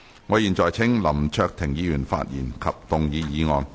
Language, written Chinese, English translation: Cantonese, 我現在請林卓廷議員發言及動議議案。, I now call upon Mr LAM Cheuk - ting to speak and move the motion